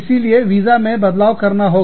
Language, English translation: Hindi, So, the visa change, has to be there